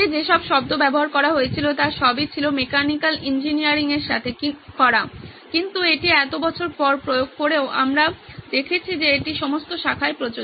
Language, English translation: Bengali, The terms that were used were all to do with mechanical engineering but this applies after so many years we found that this applies all across disciplines